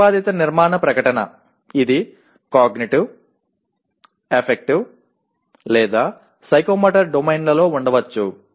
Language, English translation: Telugu, The other one is the proposed structure statement in, it can be in Cognitive, Affective, or Psychomotor Domains